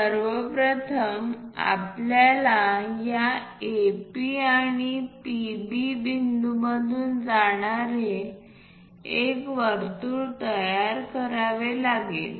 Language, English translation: Marathi, What we have to do is first of all construct a circle through this AP and PB